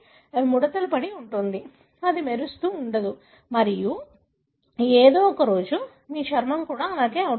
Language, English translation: Telugu, It will be wrinkled, it will not be glowing and one day your skin also would become like that